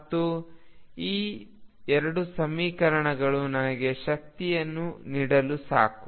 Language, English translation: Kannada, And these two equations are sufficient to give me the energy